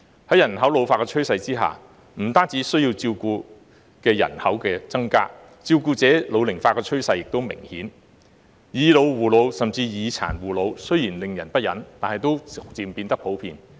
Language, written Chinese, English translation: Cantonese, 在人口老化的趨勢下，不但需要照顧的人口增加，照顧者老齡化的趨勢也明顯，"以老護老"甚至"以殘護老"雖然令人不忍，但也漸漸變得普遍。, With an ageing population not only will there be an increase in the number of persons in need of care the trend of ageing carers is also evident . Although it is miserable to see seniors caring for seniors or seniors caring for PWDs these situations are becoming increasingly common